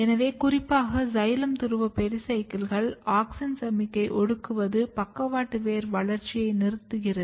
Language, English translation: Tamil, So, if you over express this in xylem pole pericycle cells what happens that, auxin signalling is suppressed and you do not have lateral root development